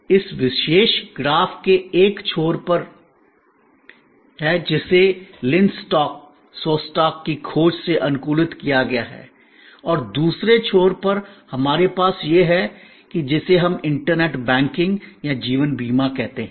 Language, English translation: Hindi, There is that at one end of this particular graph, which is adapted from Lynn Shostack work, research and right at the other end, we have this what we call internet banking or life insurance here